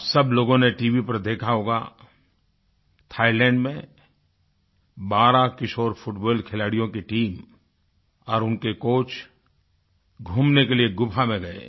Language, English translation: Hindi, V… in Thailand a team of 12 teenaged football players and their coach went on an excursion to a cave